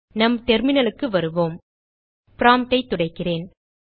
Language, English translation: Tamil, Come back to our terminal Let me clear the prompt